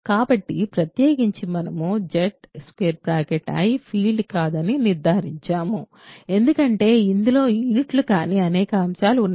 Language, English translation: Telugu, So, in particular we conclude that Z i is not a field, because it has lots of elements that are not units